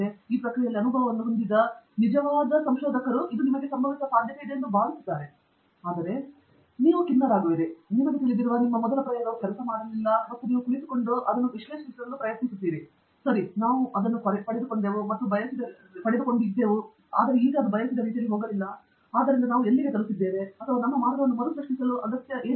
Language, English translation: Kannada, Whereas a true researcher, who has had experience in the process appreciates that, you know, this is likely to happen, is quite comfortable with the idea that, you know, his first set of experiment did not work out, and sits back, and then tries to analyze, ok we got this and it did not go the way we wanted, so where have we gone wrong or where is it that we need to reassess our approach